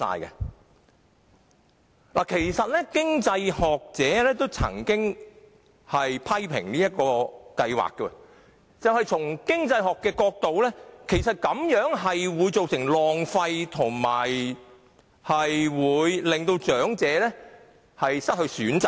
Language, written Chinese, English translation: Cantonese, 有經濟學者曾經批評優惠計劃，因為從經濟學角度而言，優惠計劃會造成浪費，並且令長者失去選擇。, An economics scholar once criticized the Concession Scheme . The reason was that from the economics perspective the Concession Scheme would cause wastage and deprive elderly people of choices